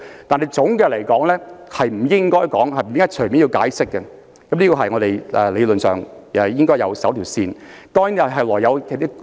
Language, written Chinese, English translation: Cantonese, 但是，總的來說，不應該隨便要求解釋是我們理論上應遵守的一條界線。, However generally speaking we should not ask for an explanation lightly and this is a line in theory that we should not overstep